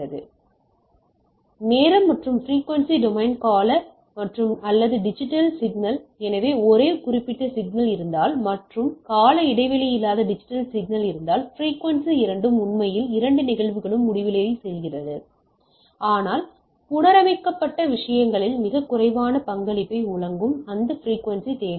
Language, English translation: Tamil, So, time and frequency domain periodic and non periodic digital signal, so this is the representation of this if I have a periodic signal and if you have a non periodic digital signal then the frequencies are both actually, both cases it goes to infinity right, so end of the things